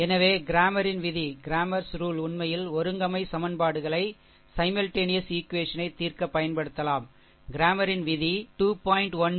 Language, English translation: Tamil, So, cramers rule actually cramers rule can be used to solve the simultaneous equations, according to cramers rule the solution of equation 3